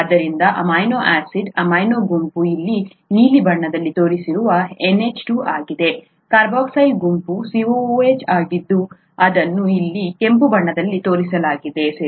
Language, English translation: Kannada, So an amino acid, the amino group is an NH2 shown in blue here, the carboxyl group is a COOH which is shown in red here, okay